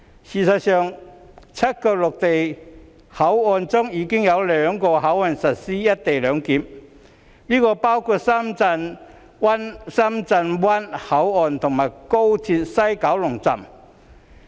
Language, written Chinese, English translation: Cantonese, 事實上，在7個陸路口岸中，已有兩個實施"一地兩檢"，包括深圳灣口岸及廣深港高速鐵路西九龍站。, Actually two of the seven land crossings have already implemented co - location arrangement including Shenzhen Bay Port and West Kowloon Station of the Guangzhou - Shenzhen - Hong Kong Express Rail Link